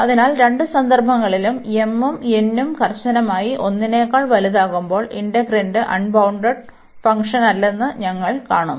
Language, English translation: Malayalam, So, in both the cases this when this m and n are strictly greater than 1, we see that the integrand is not unbounded function